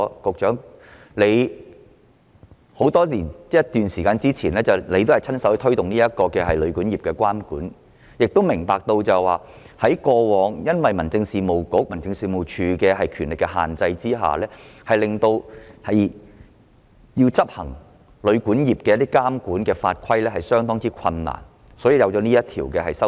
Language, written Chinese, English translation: Cantonese, 局長多年前曾親自推動旅館業的監管，明白過往民政事務局及民政事務總署由於權力所限，因此在執行旅館業的監管法規時面對相當困難，所以才衍生出《條例草案》。, Many years ago the Secretary personally took forward the monitoring of the hotel and guesthouse industry so he should understand that due to constraints on the ambit of the Home Affairs Bureau and HAD all along they have faced much difficulty in enforcing the rules on regulating the hotel and guesthouse industry and this is how the Bill comes about